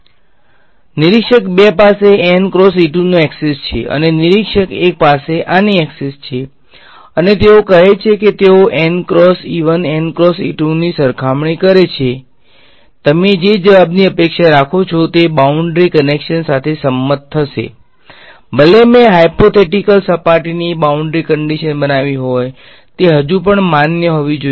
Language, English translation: Gujarati, So, observer 2 has access to this n cross E 2 and observer 1 has access to this and they say fine they compare n cross E 2 n cross E 1 what do you expect the answers to be they will agree boundary conditions, even though I have created hypothetical surface boundary conditions should still be valid